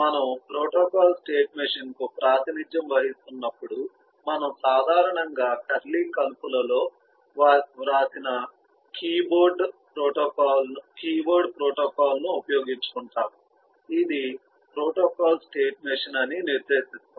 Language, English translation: Telugu, when we represent a protocol state machine, we usually use eh engage, a keyword protocol written in the curly braces which designates that this is a protocol state machine